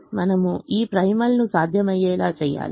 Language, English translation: Telugu, we have to make this primal feasible